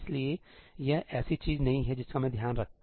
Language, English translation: Hindi, So, that is not something I can take care of